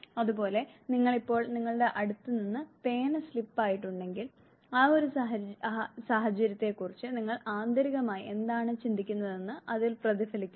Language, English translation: Malayalam, Similarly if you have now slipped of the pen it reflects now what you inwardly think about that every situation